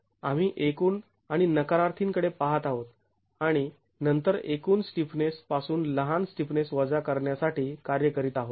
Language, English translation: Marathi, We are looking at total and the negatives and then working on subtracting overall stiffness from subtracting smaller stiffnesses from the overall stiffnesses